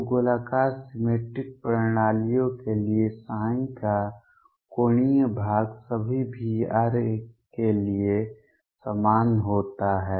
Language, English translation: Hindi, So, angular part of psi for spherically symmetric systems is the same for all V r